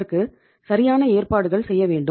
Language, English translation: Tamil, There you have to make some proper arrangements